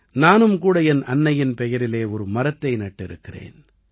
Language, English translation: Tamil, I have also planted a tree in the name of my mother